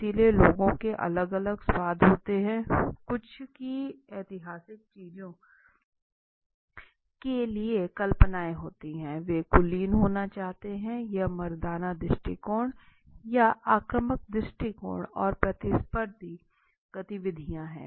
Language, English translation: Hindi, So people have different tastes some have got fantasies for historic things right, they want to have an elite, want to be like very elite and all right, it masculine approach or an aggressive approach and competitive activities